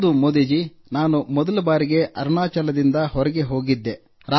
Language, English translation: Kannada, Yes, I had gone out of Arunachal for the first time